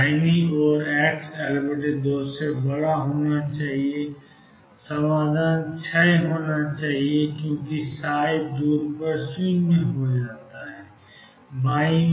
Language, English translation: Hindi, On the right hand side greater than L by 2 the solution should decay because go to 0 faraway